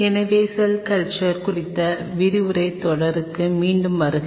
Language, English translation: Tamil, So, welcome back to the lecture series on Cell Culture